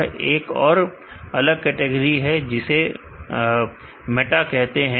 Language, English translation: Hindi, And there is a separate category called meta